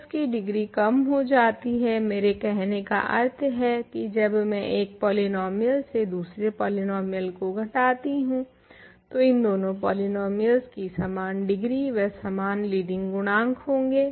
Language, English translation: Hindi, So, the degree of this drops, what I mean is when I subtract one polynomial from another polynomial these two column will have they say these two polynomials have same degree and same leading coefficients